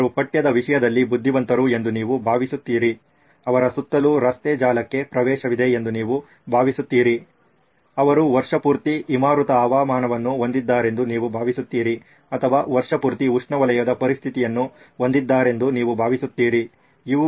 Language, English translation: Kannada, You think they are very text savvy, you think they have access to road network around them, you think they have icy weather year round or you think they have tropical conditions year round